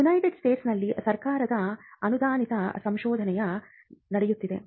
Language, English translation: Kannada, Now, in the United States the major funding happens through government funded research